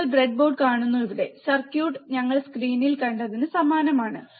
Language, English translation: Malayalam, you see the breadboard here, and the circuit is similar to what we have seen in the screen